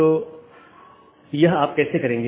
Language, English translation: Hindi, So, how will you do that